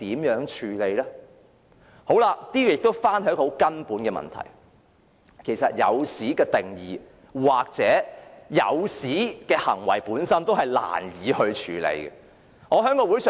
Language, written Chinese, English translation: Cantonese, 由此亦引申出一個根本問題，便是"引誘"的定義或"引誘"的行為本身是難以處理的。, This will also lead to a fundamental issue the issue that it is hard to deal with the definition of inducement or the act of inducement